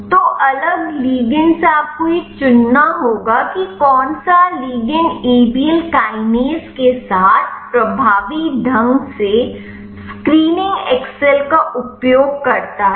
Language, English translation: Hindi, So, from the different ligand you have to select which ligand binds with Abl kinase effectively using screening excel